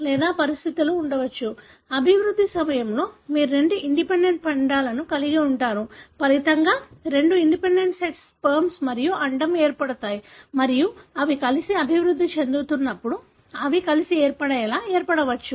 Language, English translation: Telugu, Or, there could be conditions, wherein during development you have had two independent embryos, resulting from the fusion of two independent sets of sperm and ovum and it may so happens that when they are developing together, they may fuse together to form what is called as the ‘chimera’